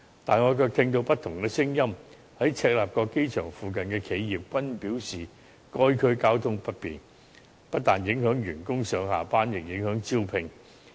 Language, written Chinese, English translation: Cantonese, 可是，我卻聽到有不同的聲音，在赤鱲角機場附近的企業均表示該區交通不便，不但影響員工上下班，亦影響招聘。, But I have heard different kinds of viewpoints . Enterprises located near the Chek Lap Kok Airport have indicated that the inconvenient transport links in the district has not only affected staff members going to and from work but also impacted on recruitment